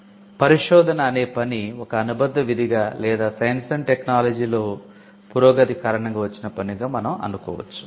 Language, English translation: Telugu, Research one can argue, came up as a subsidiary function or as a thing that came up because of the advancements in science and technology